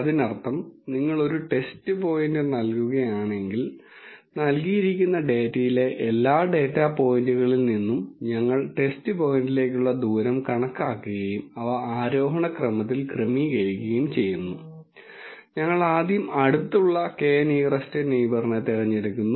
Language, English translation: Malayalam, That means if you give a test point, we calculate the distance of the test point from all the data points in the given data and arrange them in the ascending order and we choose the k first nearest neighbours